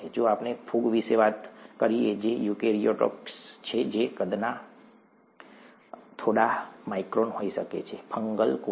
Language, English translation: Gujarati, If we talk of fungi which are eukaryotes that could be a few microns in size, fungal cell